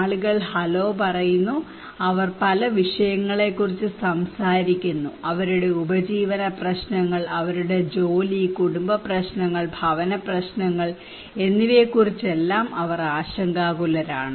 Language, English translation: Malayalam, People say hello, how are you they are talking about many issues, they are concerned about their livelihood issues, their job, family issues, housing issues